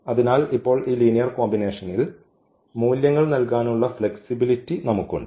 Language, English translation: Malayalam, So now, we have the flexibility to give this linear combinations here